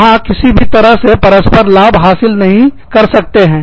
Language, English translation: Hindi, There is no way, that you can achieve, mutual benefit